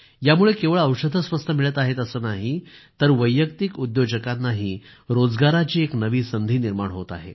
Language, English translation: Marathi, This has led to not only availability of cheaper medicines, but also new employment opportunities for individual entrepreneurs